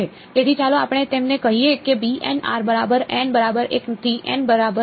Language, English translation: Gujarati, So, let us call them say b n of r alright n is equal to 1 to N ok